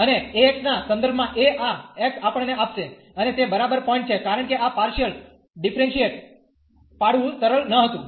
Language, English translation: Gujarati, And this alpha x with respect to alpha will give us x, and that is exactly the point, because this was not easy to differentiate partially